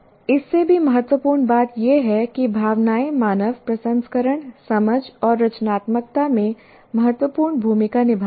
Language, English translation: Hindi, And much more importantly, emotions play an important role in human processing, understanding and creativity